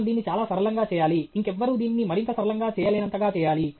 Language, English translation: Telugu, We should make it very, very simple, that to such an extent, that somebody cannot make it any simpler